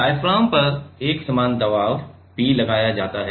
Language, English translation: Hindi, Uniform pressure P is applied on the diaphragm